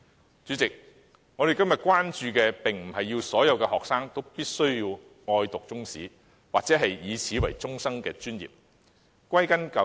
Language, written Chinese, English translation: Cantonese, 代理主席，我們不是要求所有學生都喜愛讀中史或以此為終生專業。, Deputy President we are not saying that all students should like to study Chinese history or build a career on it